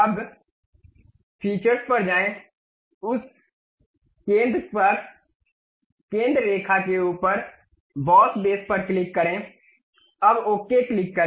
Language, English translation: Hindi, Now, go to features, click revolve boss base, above that centre line, now click ok